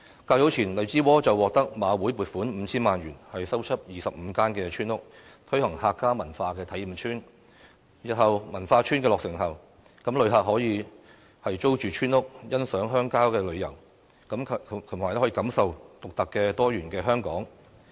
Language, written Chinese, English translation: Cantonese, 較早前，荔枝窩獲得馬會撥款 5,000 萬元，修葺25間村屋，推行"客家文化體驗村"，日後文化村落成後，旅客可以租住村屋，欣賞鄉郊風景，感受獨特多元的香港。, In a project to develop the Hakka Life Experience Village Lai Chi Wo has earlier received a funding of 50 million from the Jockey Club to renovate its 25 village houses . After the renovation the village houses are available for accommodating tourists to allow them to enjoy the rural charm and experience the unique and diversified Hong Kong